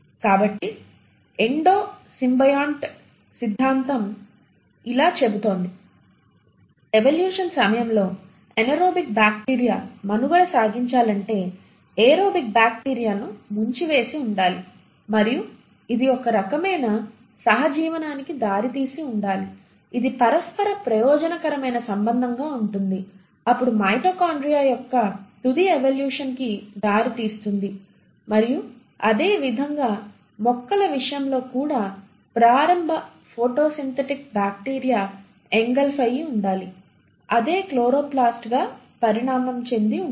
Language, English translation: Telugu, So this is what the Endo symbiont theory says, it says that in order to survive an anaerobic bacteria during the course of evolution must have engulfed an aerobic bacteria and this must have led to some sort of a symbiosis which is mutually beneficial relationship which will have then lead to final evolution of the mitochondria and similarly in case of plants there must have been an engulfment of an early photosynthetic bacteria which would have then ended up evolving into chloroplast